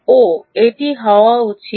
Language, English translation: Bengali, oh, this should go